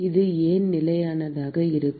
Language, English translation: Tamil, Why will it be constant